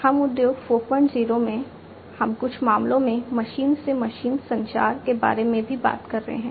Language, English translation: Hindi, 0, we are also talking about in certain cases machine to machine communication